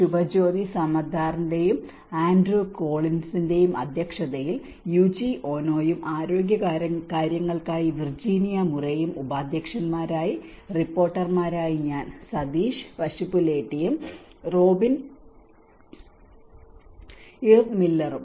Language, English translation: Malayalam, On the chairs of Subhajyoti Samadar and Andrew Collins, Co Chairs are Yuichi Ono and for health Virginia Murray and rapporteurs myself from Sateesh Pasupuleti and Robyn Eve Miller